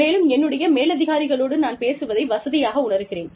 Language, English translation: Tamil, And, if i feel comfortable, speaking to my superiors